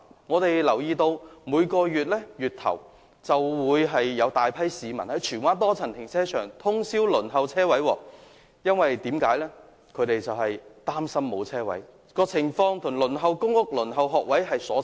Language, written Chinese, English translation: Cantonese, 我們留意到，每逢月初便會有大批市民在荃灣多層停車場通宵輪候，因為他們擔心未能申請車位，情況與輪候公屋和學位大同小異。, We notice that at the beginning of each month a large number of people will be queuing overnight outside the Tsuen Wan Car Park for fear that they may not be able to get a parking space . The situation is similar to queuing for public rental housing and school places